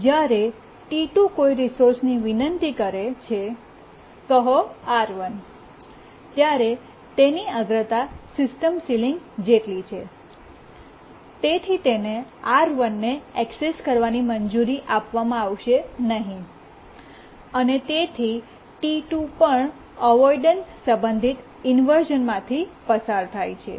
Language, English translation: Gujarati, When it requests a resource, let's say R1, yes, because its priority is just equal to the current system ceiling, it will not be allowed access to R1 and T2 can also undergo avoidance related inversion